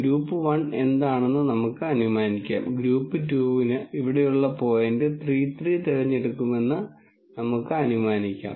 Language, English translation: Malayalam, And let us assume this is what is group 1 and let us assume that for group 2, we choose point 3 3 which is here